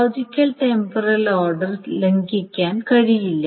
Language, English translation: Malayalam, That logical temporal order cannot be violated